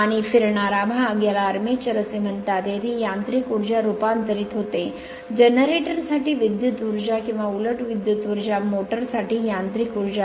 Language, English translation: Marathi, And rotating part it is called the armature right, where mechanical energy is converted into electrical energy for generator or conversely electrical energy into mechanical energy for motor